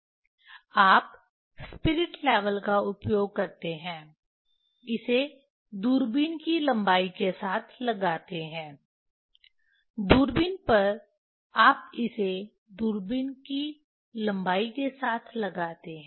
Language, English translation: Hindi, You use the spirit level put along the length of the along the length of the telescope, on telescope you put it along the length of the telescope